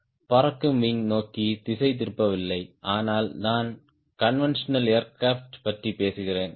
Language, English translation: Tamil, so i am not digrancy in towards flying wing, but i am talking about conventional aircraft